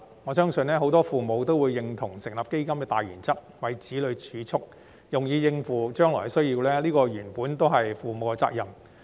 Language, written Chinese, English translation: Cantonese, 我相信很多父母都會認同成立基金的大原則，就是為子女儲蓄以應付將來的需要，而這原本亦是父母的責任。, I believe many parents will agree with the general principle of setting up the Fund that is to save for the future needs of their children which originally is the responsibility of parents